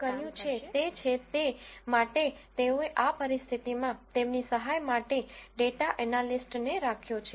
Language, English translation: Gujarati, So, what they have done is they have hired a data analyst to help them out from the situation